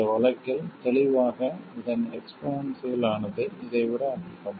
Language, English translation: Tamil, In this case clearly the exponential of this is much more than this